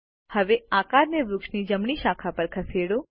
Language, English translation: Gujarati, Now move the shape to the right branch of the tree